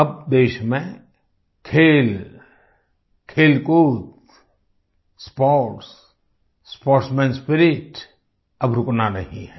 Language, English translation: Hindi, In the country now, Sports and Games, sportsman spirit is not to stop